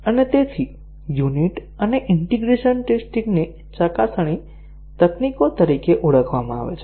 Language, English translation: Gujarati, And therefore, the unit and integration testing are known as verification techniques